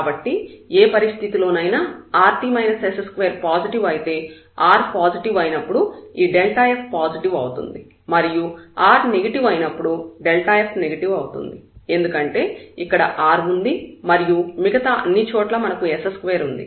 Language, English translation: Telugu, So, in any case whatever the situation is, if this rt minus s square is positive then, this delta f will be positive for r, positive and when r is negative just the sign will change because this r is sitting here; otherwise the rest everywhere we have the s square there